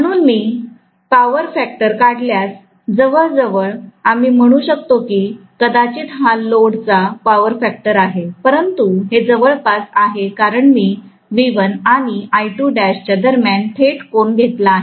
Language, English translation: Marathi, So, if I draw the power factor, approximately I can say maybe this is the power factor of the load, but that is approximation because I have taken directly the angle between V1 and I2 dash